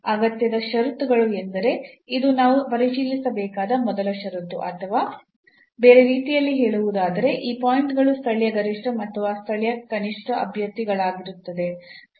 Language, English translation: Kannada, Because this is a necessary condition, necessary conditions means that this is the first condition we have to check where and or in other words these points will be the candidates for the local maximum or minimum